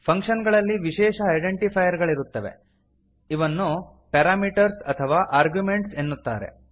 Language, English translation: Kannada, Functions contains special identifiers called as parameters or arguments